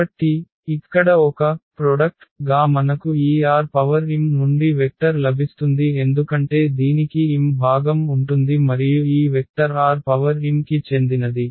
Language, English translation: Telugu, So, as a product here we will get a vector from this R m because this will have m component and so, this vector will belong to R m